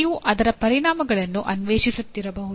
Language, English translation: Kannada, You may be exploring the implications or consequences